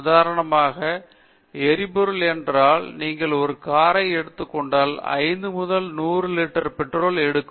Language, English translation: Tamil, Now, if it is not only fuel price, but fuel for example, if you will take a car it takes 5 to 100 liters of petrol